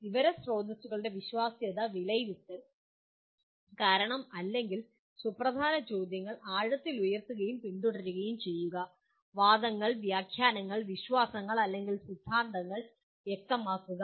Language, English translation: Malayalam, Evaluating the credibility of sources of information; questioning deeply raising and pursuing root or significant questions; clarifying arguments, interpretations, beliefs or theories